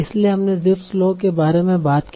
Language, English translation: Hindi, So we talked about Jeefs law